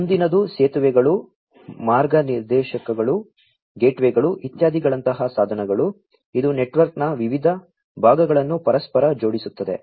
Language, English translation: Kannada, The next one is the devices such as the bridges, routers, gateways etcetera, which interlink different parts of the network, right